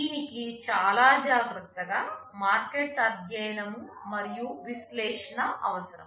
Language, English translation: Telugu, And this requires very careful market study and analysis